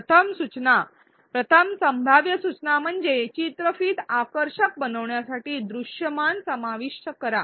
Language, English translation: Marathi, The first suggestion first possible suggestion was to include visuals to make the video attractive